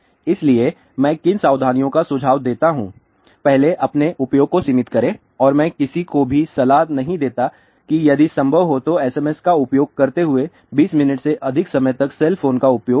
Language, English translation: Hindi, So, what precautions I suggest first is limit your use and I do not advice anybody to use cell phone for more than 20 minutes talk for short duration now if possible use SMS